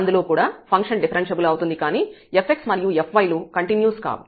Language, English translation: Telugu, So, the function may be differentiable, but the f x and f y may not be continuous